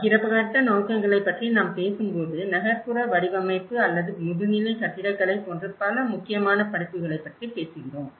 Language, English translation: Tamil, When we talk about the shared visions, in fact, today, we are talking about many important courses like urban design or architecture masters